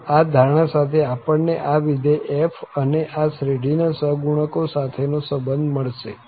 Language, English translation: Gujarati, So, with this assumption we will get a relation between the function f and the coefficients of this series